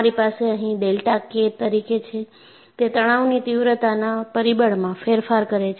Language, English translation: Gujarati, And what you have here as delta K, is the change in the stress intensity factor